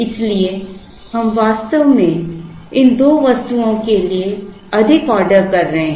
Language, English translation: Hindi, So, we actually end up making more orders for these two items